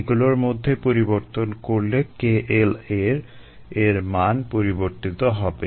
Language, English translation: Bengali, they changes in these will change the k l a value